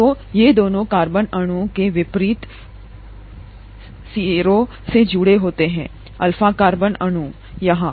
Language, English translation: Hindi, So, these two are attached with the opposite ends of the carbon molecule, the alpha carbon molecule, here